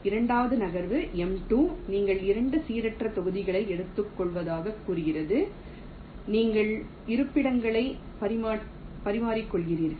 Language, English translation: Tamil, the second move, m two, says you pick up two random blocks, you interchange the locations